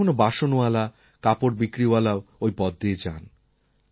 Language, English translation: Bengali, Sometimes utensil hawkers and cloth sellers too pass by our homes